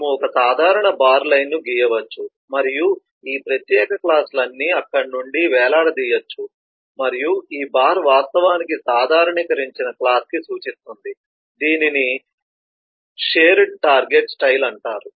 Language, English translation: Telugu, we could draw a common bar line and let all of this specialised classes hang from there and this bar in turn actually points to the generalised class